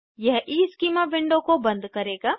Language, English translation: Hindi, This will close the EESchema window